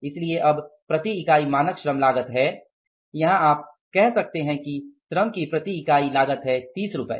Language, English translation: Hindi, So now the standard labour cost per unit per unit here you can say is that is the per unit of the labor is 30 rupees